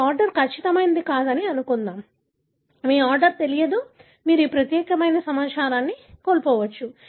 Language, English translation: Telugu, Suppose your order was not accurate, you do not know the order, you may miss out this particular information